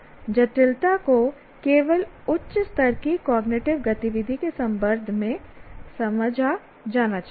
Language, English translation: Hindi, So, complexity should only be understood in terms of higher level cognitive activity